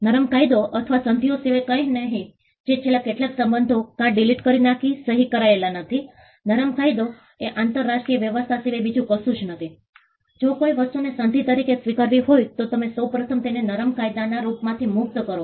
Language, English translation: Gujarati, Soft law or nothing but treaties which are not signed by delete last few words; soft law is nothing but an international arrangement where if something has to be accepted as a treaty, you first release it in the form of a soft law